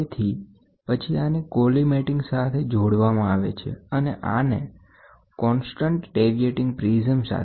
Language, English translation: Gujarati, So, then this is attached to a collimating, this is attached to a constant deviating prism